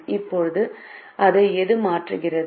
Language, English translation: Tamil, now which one does it replace